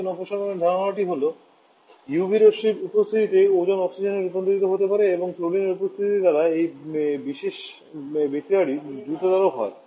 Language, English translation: Bengali, The idea ozone deflection is that when the in presence of UV rays the Ozone can get converted to Oxygen and this particular reaction gets quick and up by the presence of chlorine